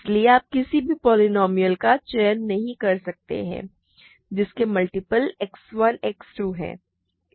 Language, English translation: Hindi, So, you cannot choose any single polynomial whose multiples are X 1 and X 2